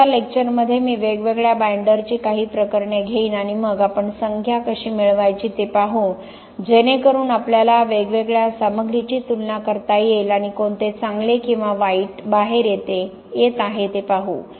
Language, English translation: Marathi, In the next lecture I will take up some cases of different binders and then we will see how to get the numbers so that we can compare the different materials and see which is coming out better or worse